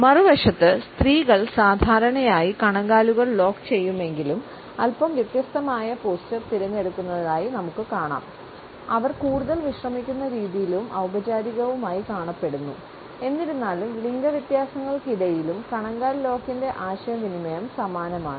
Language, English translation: Malayalam, On the other hand, we find that the women normally opt for slightly different posture even though their ankles are locked, they come across as more restful, more formal; however, the communication of the ankle lock are similar despite these gender differences of opting for certain postures